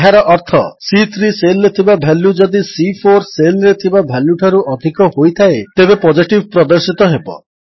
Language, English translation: Odia, This means if the value in cell C3 is greater than the value in cell C4, Positive will be displayed or else Negative will be displayed.